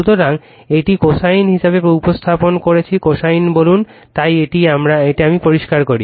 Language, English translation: Bengali, So, we are representing this as a cosine thing right say cosine , So, now let me clear it